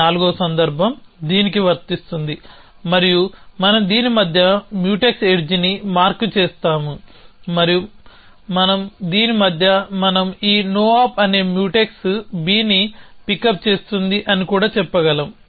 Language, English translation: Telugu, So, this fourth case applies to this and we mark Mutex edge between this and this we can also say it that this no op is Mutex would pick up b because it no op is producing clear b and this pick up b is deleting clear b